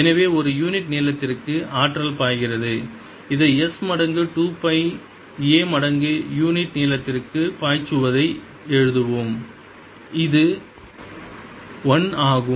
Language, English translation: Tamil, lets write this: flowing in is going to be s times two pi a times the unit length, which is one